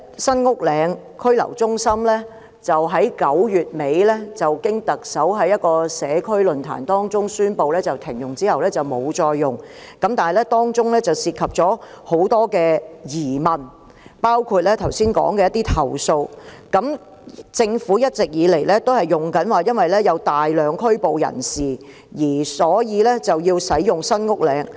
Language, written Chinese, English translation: Cantonese, 雖然在9月底舉行的社區論壇中，特首已宣布停用新屋嶺拘留中心，但當中仍存在許多疑問，包括剛才提到的投訴，而政府一直以來都是以有大量被拘捕人士作為使用該中心的理由。, While the Chief Executive announced at a community forum conducted in late September that SULHC was not used any more it still leaves a host of questions including the aforesaid complaints . The Government has all along justified the use of the Centre on the ground that a large number of persons were arrested